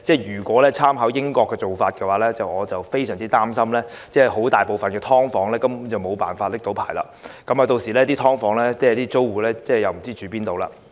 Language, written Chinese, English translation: Cantonese, 如果參考英國的做法，我非常擔心大部分"劏房"根本無法取得牌照，屆時"劏房"租戶也不知要到何處容身。, If we draw reference from the practice of the United Kingdom I am gravely concerned that most subdivided units are simply unable to secure a license . I wonder where those tenants of subdivided units can go then